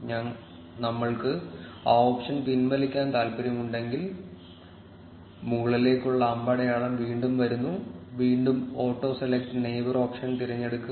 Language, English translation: Malayalam, If we want to turn back that option then there comes the up arrow again, and again select the auto select neighbor option